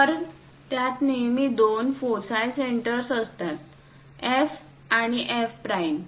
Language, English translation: Marathi, So, it has always two foci centres; F and F prime